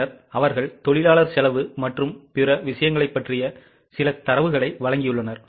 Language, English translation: Tamil, Then they have given some data about labour costs and other things